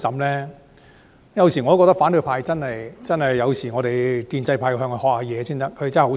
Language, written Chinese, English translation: Cantonese, 我有時候覺得建制派真的要向反對派學習，他們真的很厲害。, Sometimes I think the pro - establishment camp ought to learn from the opposition camp as they are most awesome actually